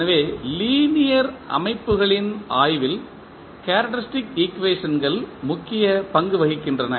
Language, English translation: Tamil, So, the characteristic equations play an important role in the study of linear systems